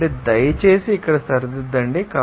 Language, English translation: Telugu, So, please correct it here